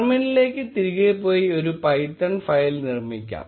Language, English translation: Malayalam, Let us go back to the terminal and create a python file